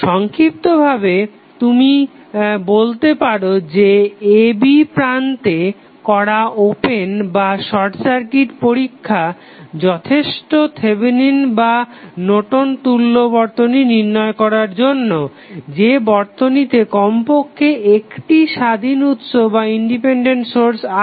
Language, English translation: Bengali, So, now you can say in summary that the open and short circuit test which we carry out at the terminal a, b are sufficient to determine any Thevenin or Norton equivalent of the circuit which contains at least one independent source